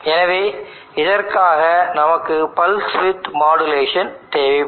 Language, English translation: Tamil, So we need to do a pulse with modulation